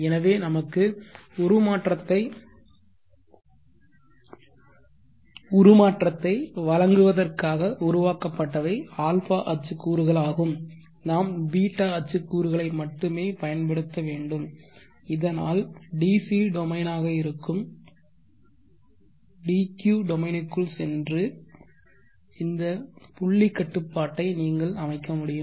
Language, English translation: Tamil, So we need to use only the ß axis components a axis components where created just to provide us the transformation, so that we could go into the dq domain that is the dc domain so that you could so set point control